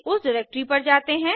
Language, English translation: Hindi, Lets go to that directory